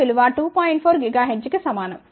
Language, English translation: Telugu, 4 gigahertz ok